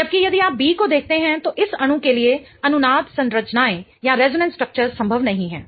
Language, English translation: Hindi, Whereas if you see B there are no resonance structures possible for this molecule